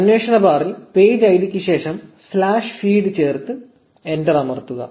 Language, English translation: Malayalam, In the query bar, just add slash feed after the page id and press enter